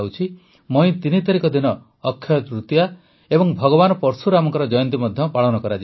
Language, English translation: Odia, Akshaya Tritiya and the birth anniversary of Bhagwan Parashuram will also be celebrated on 3rd May